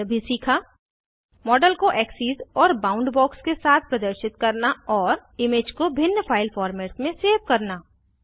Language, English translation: Hindi, We have also learnt to, Display the image with axes and boundbox and Save the image in different file formats